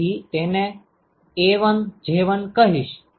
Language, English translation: Gujarati, So, this will be I call it A1J1